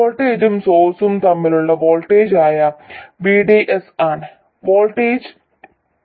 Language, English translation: Malayalam, Voltage V2 is VDS, that is voltage between drain and source